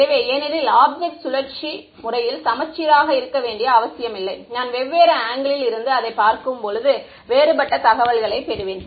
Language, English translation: Tamil, So, because the object need not be symmetric rotationally, I will get different information when I am seeing it from different angles